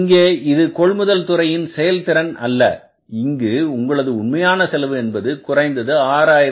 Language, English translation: Tamil, It is not the efficiency of the production department that your actual cost has come down to 65 13